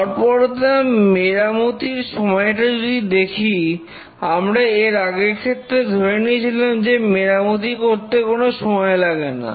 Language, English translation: Bengali, If we consider mean time to repair, in the previous case we just considered mean time to repair is 0